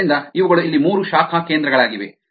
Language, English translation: Kannada, so these are the three branch points here